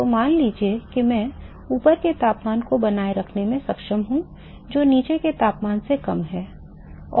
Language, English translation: Hindi, So, let us say I am able to maintain the temperature above which is lower than that of the temperature below and